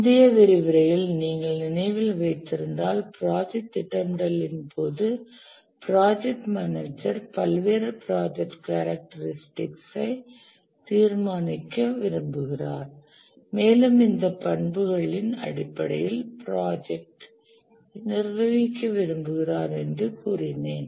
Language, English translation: Tamil, If you remember in the last lecture we are saying that the project manager during the project scheduling would like to determine various project characters, characteristics, and then manage the project based on these characteristics